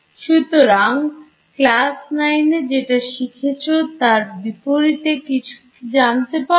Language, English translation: Bengali, So, does that contrast with something that you have learnt from like class 9